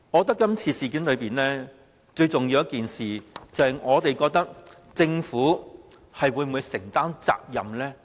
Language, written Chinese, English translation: Cantonese, 就今次的事件，我們覺得最重要是政府會否承擔責任。, For this incident we think the most important thing is whether the Government should bear any responsibility